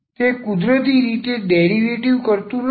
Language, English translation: Gujarati, It is not the derivative naturally